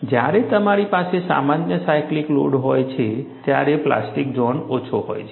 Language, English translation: Gujarati, When you have a normal cyclical load, the plastic zone is smaller